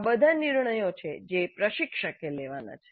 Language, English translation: Gujarati, So these are all the decisions that the instructor has to make